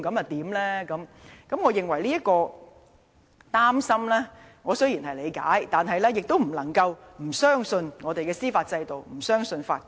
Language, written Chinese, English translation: Cantonese, 雖然我理解議員的憂慮，但我認為也不能夠因而不相信我們的司法制度、不相信法官。, While I appreciate Members concern I do not think we should thus lose trust in our judicial system and judges